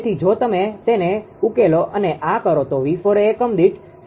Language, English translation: Gujarati, So, if you solve it and do this that people will become 0